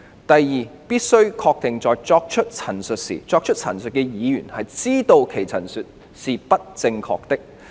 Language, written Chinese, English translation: Cantonese, 第二，必須確定在作出陳述時，作出陳述的議員知道其陳述是不正確的。, Secondly it must be established that at the time when the statement was made the Member making the statement knew that it was incorrect